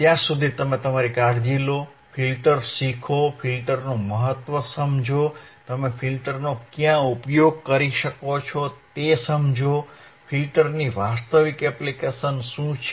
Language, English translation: Gujarati, Till then you take care, learn the filters, the understand the importance of filters, understand where you can use the filters, what are the real applications of the filters